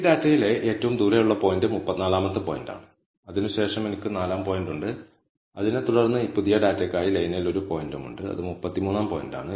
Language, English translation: Malayalam, So, the farthest point in this data is the 34th point and after that I have the 4th point and followed by that, there is also one point on the line, which is the 33rd point, for this new data